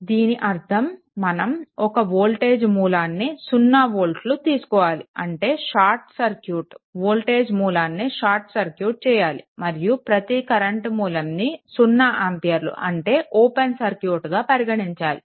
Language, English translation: Telugu, This means we replace every voltage source by 0 volt; that means, your short circuit that voltage source should be short circuit, and every current source by 0 ampere that is it is an open circuit right